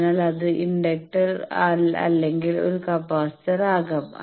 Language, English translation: Malayalam, So, it can be inductor or a capacitor